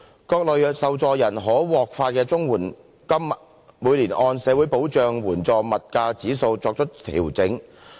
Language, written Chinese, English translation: Cantonese, 各類受助人可獲發的綜援金每年按社會保障援助物價指數作出調整。, The CSSA payments receivable by various categories of recipients are adjusted annually according to the Social Security Assistance Index of Prices